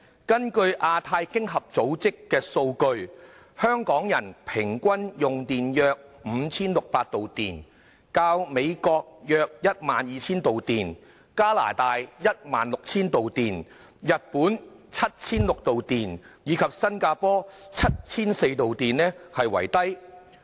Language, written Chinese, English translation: Cantonese, 根據亞洲太平洋經濟合作組織的數據，香港人均用電約 5,600 度，較美國、加拿大、日本及新加坡為低。, According to the data from the Asia - Pacific Economic Cooperation the electricity consumption per capita in Hong Kong is 5 600 kWh lower than the United States Canada Japan and Singapore